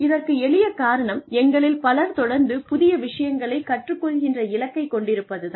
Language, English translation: Tamil, For the simple reason that, many of us have, this goal of constantly learning new things